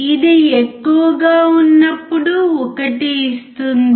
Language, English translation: Telugu, When it is high, it gives 1